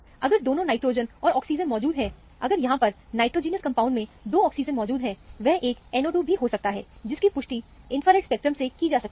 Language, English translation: Hindi, If both nitrogen and oxygen are present, if there are two oxygens present in the nitrogenous compound, it could as well be a NO 2, which you can confirm from the infrared spectrum